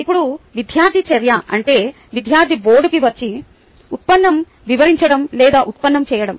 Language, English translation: Telugu, now, student action means a student coming to the board and explaining ah derivation or carrying out a derivation